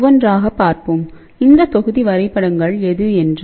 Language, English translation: Tamil, So, let us see one by one; what these block diagrams are all about